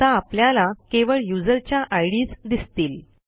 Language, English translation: Marathi, Now we can see only the ids of the users